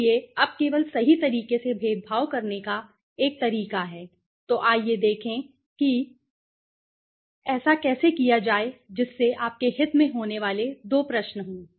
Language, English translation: Hindi, okay, so it is a way of discriminating only correct so let us see how to do that so what are the two the two questions that might you have interest are